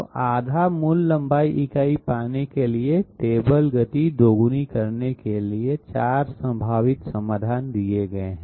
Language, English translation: Hindi, So 4 possible solutions are given in order to get half the basic length unit and double the table speed